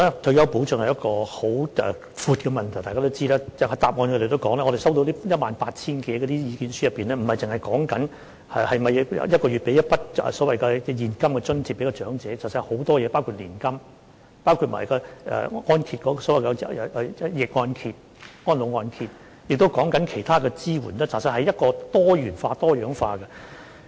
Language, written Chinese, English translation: Cantonese, 在主體答覆內也提及，在我們接獲的 18,000 多份意見書當中，不單止是討論每月向長者提供一筆所謂現金津貼，而是還有很多其他事情，包括年金、逆按揭、安老按揭，亦提及其他支援，其實是多元化和多樣化的。, It is also mentioned in the main reply that the issues raised in the more than 18 000 representations received by us is not just confined to the provision of what is called a cash subsidy to the elderly each month rather many other matters were also raised including annuity payment reverse mortgage and other types of support . In fact they are multi - faceted and diverse